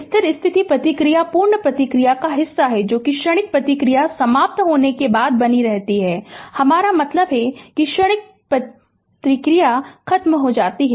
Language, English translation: Hindi, The steady state response is the portion of the complete response that remains after the transient response has died out, I mean transient is over right